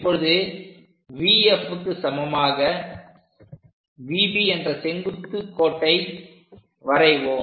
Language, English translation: Tamil, If we draw perpendicular V B is equal to V F